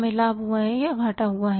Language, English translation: Hindi, We have the profit or we have the loss